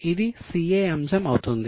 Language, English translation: Telugu, It will be a CA